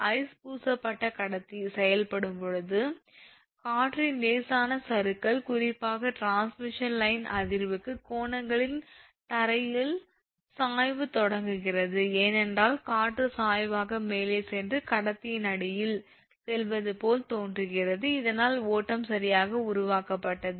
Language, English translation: Tamil, When the ice coated conductor is acted upon a right your light drift wind, particularly where the ground slopes at right angles to the transmission line vibration is initiated, because wind travels actually up the slope and appears to get underneath the conductor, actually this that is this galloping is creates because of this reason right